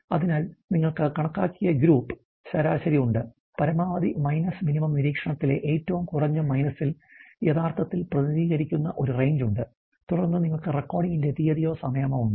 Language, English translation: Malayalam, So, you have group average which is been calculated we have a range, which is actually represented by on the minimum minus on the maximum minus minimum observation and then you have the date or time of the recording